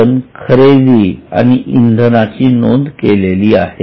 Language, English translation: Marathi, So, we have recorded purchases and fuel